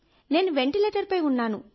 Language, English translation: Telugu, I was on the ventilator